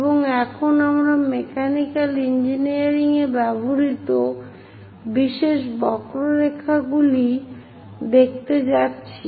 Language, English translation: Bengali, And now we are going to look at special curves used in mechanical engineering